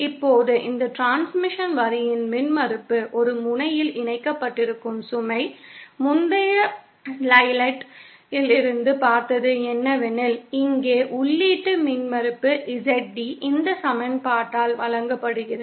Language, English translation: Tamil, Now the impedance of this transmission line with the load connected at one end, we saw from the previous slide that the input impedance ZD here is given by this equation